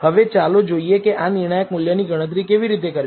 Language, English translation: Gujarati, Now, let us see how to compute this critical value